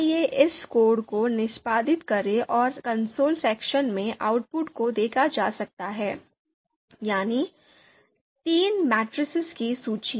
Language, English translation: Hindi, So let’s execute this code and in the console section the output you can see, a list of three matrices has been created